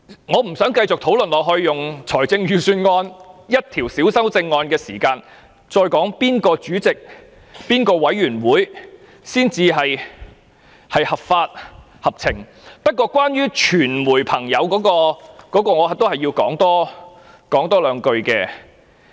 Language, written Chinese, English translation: Cantonese, 我不想繼續用財政預算案內一項細小修正案的發言時間，來討論哪一方主席、法案委員會才是合法、合情，但關於傳媒與保安的衝突，我仍要多說兩句。, I do not want to continue taking some time from the debate of a minor amendment in respect of the Budget to discuss which Chairman or which Bills Committee is legitimate and reasonable . But concerning the clash between the media and the security staff I still want to talk a bit more